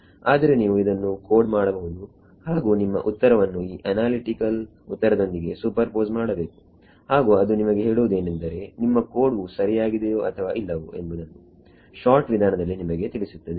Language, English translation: Kannada, But you can code it and superpose your answer with this analytical answer and that tells you that you know whether your code is correct or not sure short way